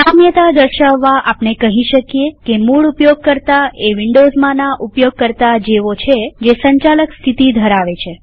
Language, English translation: Gujarati, To draw an analogy we can say a root user is similar to a user in Windows with Administrator status